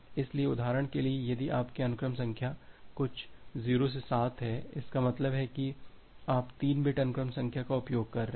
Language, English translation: Hindi, So, for example, if your sequence numbers are some 0 to 7; that means, you are using a 3 bit sequence numbers